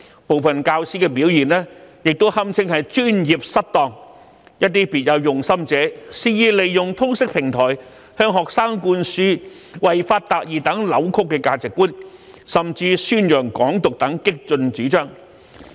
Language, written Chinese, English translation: Cantonese, 部分教師的表現亦屬"專業失當"，還有些別有用心者肆意利用通識平台，向學生灌輸違法達義等扭曲的價值觀，甚至宣揚"港獨"等激進主張。, The performance of some teachers can be regarded as professional misconduct . Some others with ulterior motives have wantonly used the LS subject as a platform to instill into students distorted values such as achieving justice by violating the law as well as promote radical ideas such as Hong Kong independence